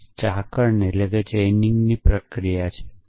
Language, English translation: Gujarati, This is the process of backward chaining